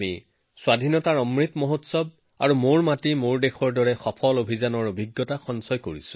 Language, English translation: Assamese, We experienced successful campaigns such as 'Azadi Ka Amrit Mahotsav' and 'Meri Mati Mera Desh'